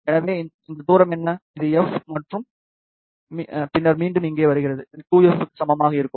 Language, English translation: Tamil, So, what is this distance, this is f, and then comes back here, so that will be equal to 2f